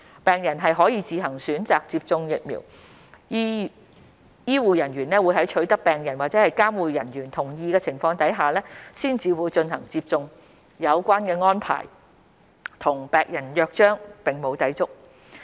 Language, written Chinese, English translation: Cantonese, 病人可自行選擇接種疫苗，醫護人員會在取得病人或監護人同意的情況下才進行接種，有關安排與《病人約章》並無抵觸。, The vaccination is voluntary and no vaccines will be administered to the patients unless they or their guardians have given consent . This arrangement does not violate the Patients Charter